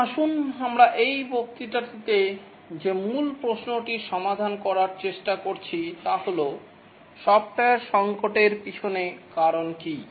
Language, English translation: Bengali, Now let's look at the basic question that we have been trying to address in this lecture is that what is the reason behind software crisis